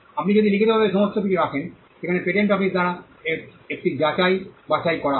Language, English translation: Bengali, If you put everything in writing, there is a scrutiny that is done by the patent office